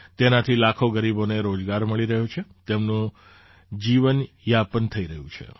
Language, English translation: Gujarati, Due to this lakhs of poor are getting employment; their livelihood is being taken care of